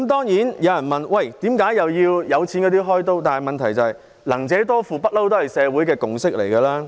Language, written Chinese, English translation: Cantonese, 有人會問為何要向有錢人"開刀"，但"能者多付"一向是社會的共識。, Some will ask why the rich should be targeted at; however the principle of earn more pay more is always the consensus of the community